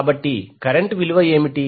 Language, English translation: Telugu, So what is the value of current